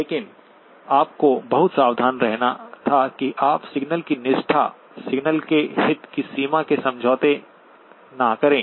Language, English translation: Hindi, But you had to be very careful that you do not compromise on the signal fidelity, the signal in the range of interest